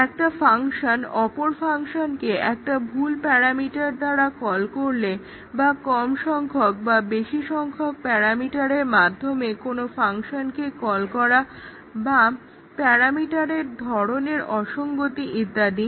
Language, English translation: Bengali, Interfacing is that one function calls another function with a wrong parameter or may be it calls a parameter, it calls a function with less number of parameters or more number of parameters or there is a parameter type mismatch